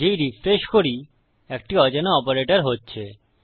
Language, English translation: Bengali, As soon as we refresh its going to unknown operator